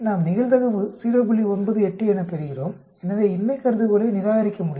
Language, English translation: Tamil, 84 so you cannot reject the null hypothesis